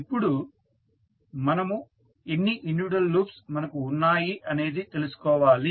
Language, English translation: Telugu, Now, next is we need to find out how many individual loops we have